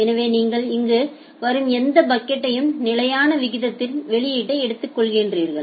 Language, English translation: Tamil, So, whatever packet you are getting here you are taking it output at a constant rate